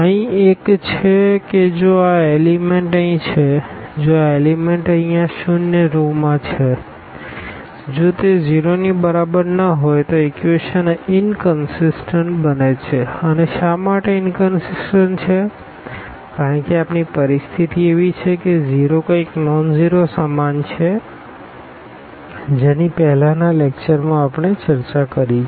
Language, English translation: Gujarati, The one here is that if these elements here if these elements yeah if these elements here in this zero rows; if they are not equal to 0 and if they are not equal to 0 then the equations become inconsistent and why inconsistent because we have the situation that 0 is equal to something nonzero which we have already discussed in the previous lecture